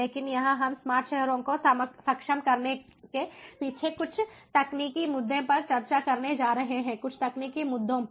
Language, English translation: Hindi, but here we are going to discuss some of the technical issues behind enabling smart cities, some of the technical issues